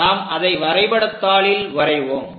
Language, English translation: Tamil, So, let us look at on this drawing sheet